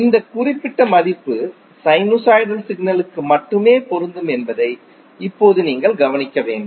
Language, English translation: Tamil, Now you have to note the important point here that this particular value is applicable only for sinusoidal signals